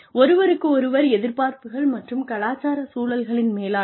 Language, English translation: Tamil, Management of interpersonal expectations and intercultural environments